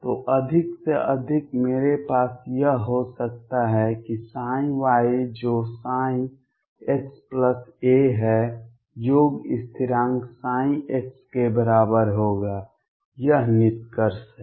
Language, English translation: Hindi, So, at most I could have is that psi y which is psi x plus a would be equal to sum constant psi of x, this is the conclusion